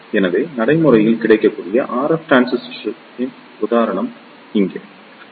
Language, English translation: Tamil, So, here is the example of the practically available RF transistor; its name is BFP520